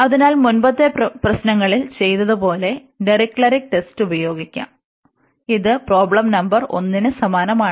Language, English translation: Malayalam, So, we can use that Dirichlet test like we have done in the earlier problems, so this is similar to the problem number 1